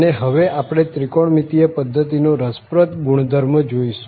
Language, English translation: Gujarati, And very interesting property now we will look into for trigonometric system